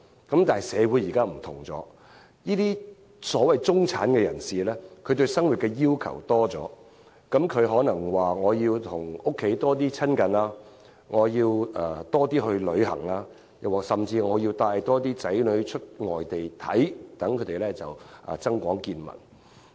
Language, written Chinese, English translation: Cantonese, 但是，如今社會不同了，所謂的中產人士對生活要求多了，他們可能期望多與家人親近、多出外旅行，甚至多帶子女到外地遊歷，增廣見聞。, However times have changed . The so - called members of the middle class now have more expectations about life . They may wish to have more time with their families more travels and more journeys abroad with their children to broaden their horizons